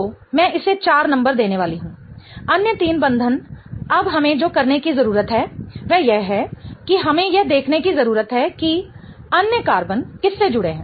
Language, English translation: Hindi, The other three bonds now what we need to do is we need to see what are the other carbons attached to